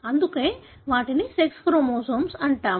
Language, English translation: Telugu, That is why they are called as sex chromosomes